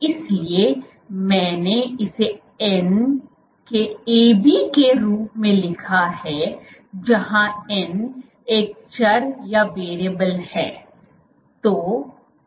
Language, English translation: Hindi, So, I wrote it as AB of n where n is a variable